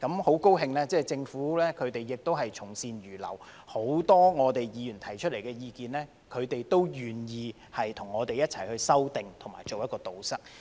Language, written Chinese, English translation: Cantonese, 很高興政府可以從善如流，對於很多議員提出的意見，他們都願意跟我們一起修訂和堵塞。, We are glad that the Government has listened to our views and acted accordingly . Regarding the many views put forth by Members the authorities have been willing to work with us to make amendments and plug the loopholes